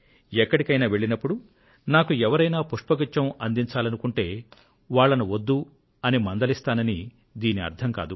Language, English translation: Telugu, Now, I cannot say that if I go somewhere and somebody brings a bouquet I will refuse it